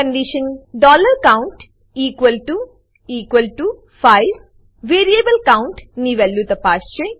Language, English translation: Gujarati, The condition $count equal to equal to 5 is checked against the value of variable count